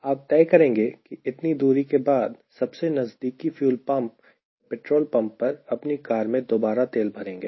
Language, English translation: Hindi, ok, after this many distance, nearest fuel pump or petrol pump, i will fill my car